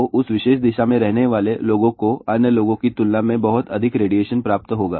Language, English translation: Hindi, So, people living in that particular direction will receive very high radiation compared to other people